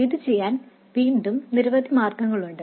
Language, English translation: Malayalam, So, again, there are many ways to do this